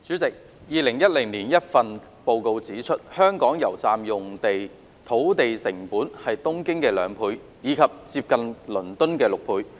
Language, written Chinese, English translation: Cantonese, 代理主席 ，2010 年一份報告指出，香港油站用地土地成本是東京的兩倍，以及接近倫敦的六倍。, Deputy President a report in 2010 pointed out that the land costs of petrol filling station PFS sites in Hong Kong were double of those in Tokyo and nearly six times of those in London